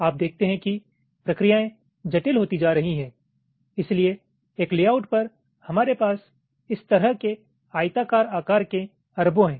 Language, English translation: Hindi, you see, as the processors are becoming complex, so so, so on a layout we are having billions of this kind of rectangular shapes